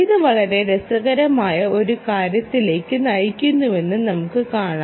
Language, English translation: Malayalam, see what it all of this is leading to something very interesting, right